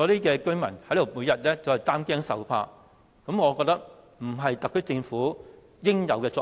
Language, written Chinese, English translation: Cantonese, 讓居民每天擔驚受怕，並非特區政府應有的作為。, A responsible HKSAR Government should not make its people feel alarmed all the time